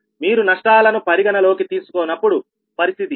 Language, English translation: Telugu, so this is the condition when you are not considering the losses, right